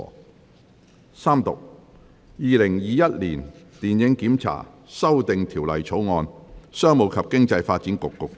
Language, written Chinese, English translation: Cantonese, 主席，我動議《2021年電影檢查條例草案》予以三讀並通過。, President I move that the Film Censorship Amendment Bill 2021 be read the Third time and do pass